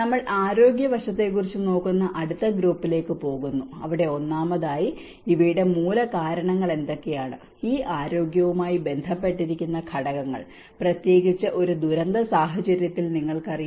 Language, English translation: Malayalam, And we go to the next group where on the health aspect, first of all, what are the root causes of these you know the factors that are associated with this health especially in a disaster context